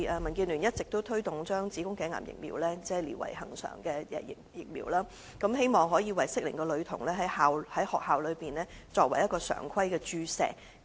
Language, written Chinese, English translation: Cantonese, 民建聯一直推動將子宮頸癌疫苗列為恆常接種的疫苗，希望能為適齡的女童在校內注射，成為常規的注射疫苗。, DAB has long been promoting the inclusion of cervical cancer vaccination into the list of regular vaccination programmes so that girls of the relevant age cohort can receive vaccination at schools